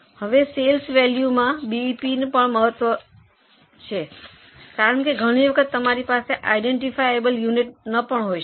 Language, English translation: Gujarati, Now, BEP in sales value is also very important because many times you may not have an identifiable unit